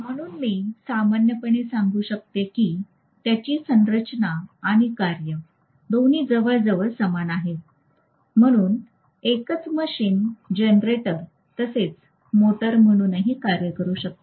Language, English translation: Marathi, So I can have either motoring operation or generating operation, the same machine can work as both generator as well as motor